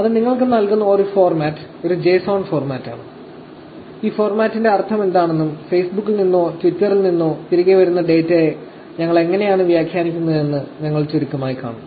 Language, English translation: Malayalam, One of the formats that it gives you is actually a JSON format, which we will see in brief what this format means and how we actually interpret the data that is coming back from Facebook, or Twitter